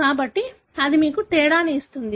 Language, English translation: Telugu, So, that gives you the difference